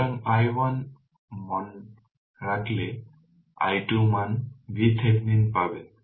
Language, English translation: Bengali, So, put i 1 value i 2 value we will get V thevenin